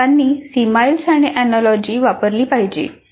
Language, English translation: Marathi, So the teacher should use similes and analogies